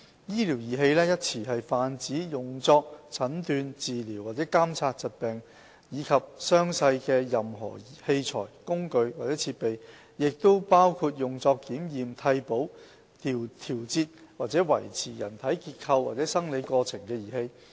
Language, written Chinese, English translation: Cantonese, "醫療儀器"一詞泛指用作診斷、治療或監察疾病及傷勢的任何器材、工具或設備，亦包括用作檢驗、替補、調節或維持人體結構或生理過程的儀器。, The term medical device generally refers to any instrument apparatus or appliance that is used for diagnosis treatment or monitoring of diseases and injuries . It also covers devices that are used for the purposes of investigation replacement modification or support of the anatomy or physiological process of the human body